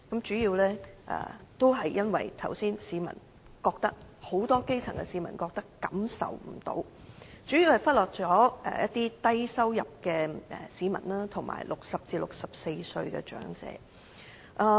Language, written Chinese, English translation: Cantonese, 主要原因是正如我剛才所說，很多基層市民不感到受惠，主要是預算案忽略了低收入市民，以及60歲至64歲的長者。, The main reason is that as I said just now many grass - roots people feel that they have not benefited in any way chiefly because the Budget has overlooked low - income earners and elderly people aged between 60 and 64 years